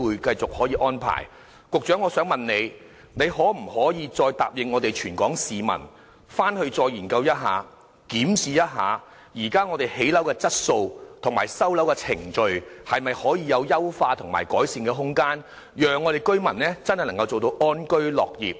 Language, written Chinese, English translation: Cantonese, 局長，你可否答應全港市民會再作研究，檢視現時的建築質素及收樓程序是否有優化和改善的空間，好讓居民能夠真正安居樂業？, Secretary can you make a pledge to members of the public that the Administration will conduct another study to review whether there is room for improvement in respect of building quality and the current handover procedures so that people can really live in contentment?